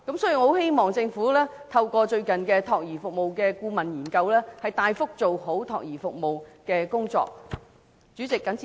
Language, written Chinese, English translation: Cantonese, 所以，我希望政府透過最近有關託兒服務的顧問研究，大幅地做好託兒服務的工作。, Therefore I hope that through the recent consultancy study on child care services the Government can extensively take forward the work of child care services